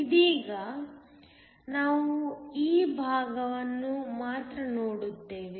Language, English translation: Kannada, Right now, we will only look at this part